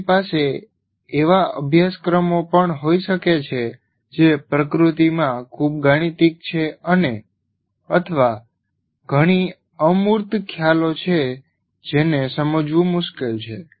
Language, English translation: Gujarati, You can also have courses which are highly mathematical in nature or it has several abstract concepts which are difficult to grasp